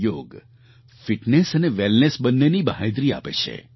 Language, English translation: Gujarati, Yoga is a guarantee of both fitness and wellness